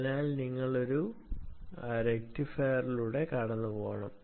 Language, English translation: Malayalam, so you have to pass it through a rectifier